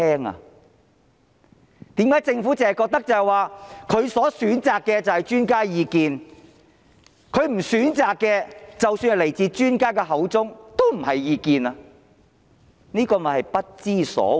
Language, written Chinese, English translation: Cantonese, 為甚麼政府只是覺得它選擇的就是專家意見，它不選擇的，即使是來自專家口中，也不是意見，這便是不知所謂。, Why is it that the Government only considers those views selected by it as expert opinions whereas for views not selected by it they are not taken as views even though they come from the experts? . This is ridiculous